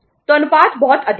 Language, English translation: Hindi, So the ratio is very high